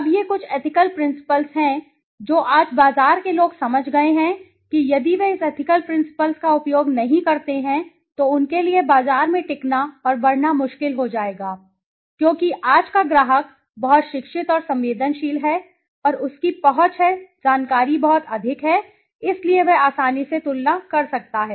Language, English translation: Hindi, Now these are some of the ethical principles which marketers today have understood that if they do not use this ethical principles then it will be very, very, very difficult for them to sustain and grow in the market because today's customer is very, very educated and sensitive and he has, you know access to information is very high so he can easily compare